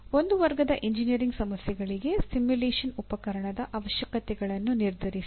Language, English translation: Kannada, Determine the requirements of a simulation tool for a class of engineering problems